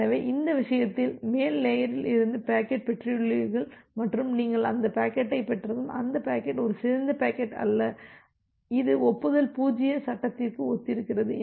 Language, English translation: Tamil, So, in that case you have received the packet from the upper layer and once you have received that packet and that packet is not a corrupted packet and it is the acknowledgement corresponds to frame 0